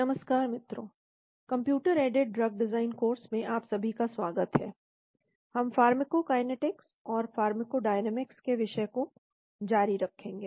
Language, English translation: Hindi, Hello everyone, welcome to the course on Computer aided drug design, we will continue on the topic of pharmacokinetics and pharmacodynamics